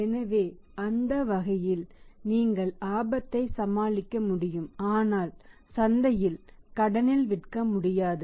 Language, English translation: Tamil, So, that way you can manage the risk but not selling in the market on the credit